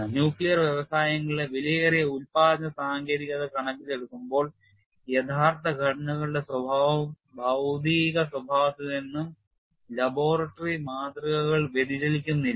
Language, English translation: Malayalam, In view of costly production techniques in nuclear industries, the behavior of the actual structures may not deviate much from material behavior of laboratory specimens